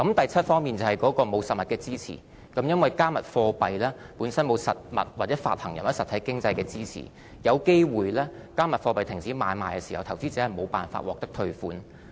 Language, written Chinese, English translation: Cantonese, 第七方面是沒有實物支持，因為"加密貨幣"本身沒有實物、發行人或實體經濟的支持，"加密貨幣"停止買賣時，投資者有機會無法獲得退款。, Seventh they are not backed . Since cryptocurrencies are not backed by any physical items issuers or the real economy investors may not be able to obtain a refund of their monies should the trading of a cryptocurrency stops